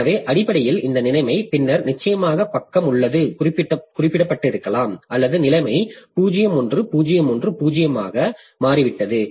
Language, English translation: Tamil, So, basically this situation then definitely the page has been referred or maybe the situation has become 010